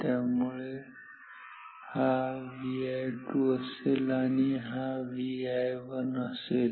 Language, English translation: Marathi, So, this is same as V i 2 this is same as V i 1